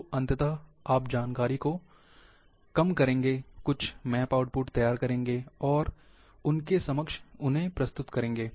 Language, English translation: Hindi, So, ultimately you will reduce the information, prepare certain map outputs, and present to them